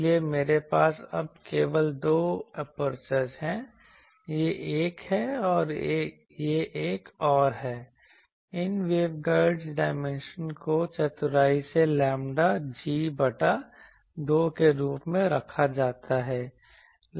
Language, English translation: Hindi, So, I have now simply two apertures; this is one and this is another they these waveguides dimension l that is cleverly put as lambda g by 2